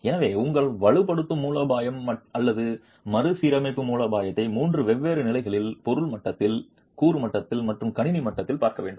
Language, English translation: Tamil, So you would have to look at your strengthening strategy or the retrofit strategy both at three different levels, at the material level, at the component level and at the system level